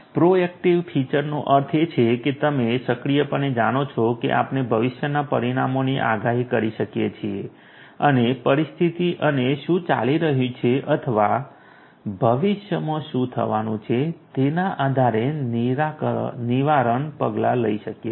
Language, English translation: Gujarati, Proactive feature means that you know proactively we can predict the future outcomes and take preactive sorry preventive actions depending on the situation and what is going on or what is going to happen in the future